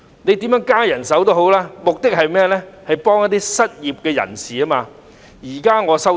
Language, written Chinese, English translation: Cantonese, 當局增聘人手，目的不就是協助失業人士嗎？, When it increases its manpower it is meant to give the unemployed a hand right?